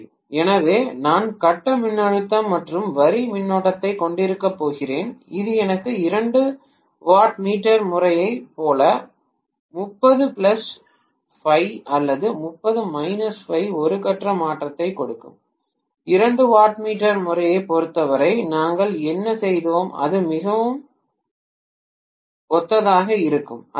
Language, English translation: Tamil, So I am going to have phase voltage and line current which will give me a phase shift of 30 plus phi or 30 minus phi like 2 watt meter method, what we did in the case of 2 watt meter method, it will become very similar to that